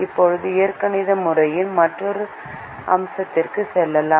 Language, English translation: Tamil, let us now go back to another aspect in the algebraic method